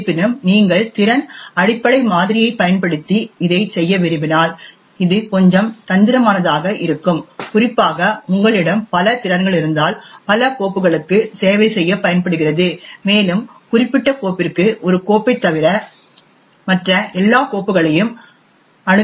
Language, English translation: Tamil, However if you want to actually do this using the capability base model, this could get a little bit tricky specially if you have one capability that is use to service multiple files and what we want is for that particular subject to access all the files except one, so this is very difficult to do with the capability base model